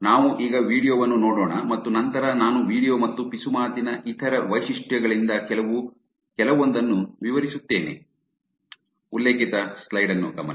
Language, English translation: Kannada, We take a look at video now and then I will describe some details which is from the video and other features of whisper